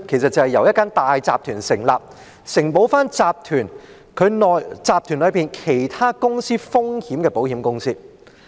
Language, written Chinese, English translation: Cantonese, 那是由一間大集團成立，承保該集團內其他公司風險的保險公司。, It is an insurance company set up by a large corporate group to underwrite the risks of other companies within the group